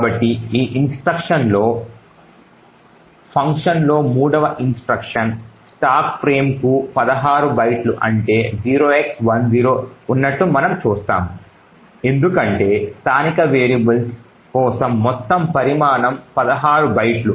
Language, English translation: Telugu, So, in this particular instruction we see that there are 0 X1 0 that is 16 bytes for the stack frame, so this is because the total size for the local variables is 16 bytes